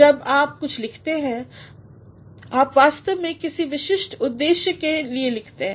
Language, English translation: Hindi, When you write something, you are actually writing for a specific purpose